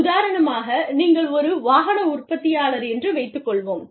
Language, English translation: Tamil, For example, you are an automotive manufacturer